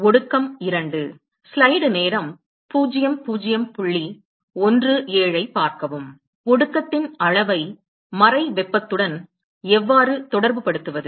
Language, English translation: Tamil, How do we relate the amount of condensate to latent heat